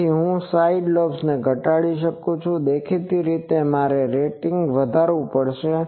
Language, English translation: Gujarati, So, I can reduce the side lobes; obviously, I will have to increase the rating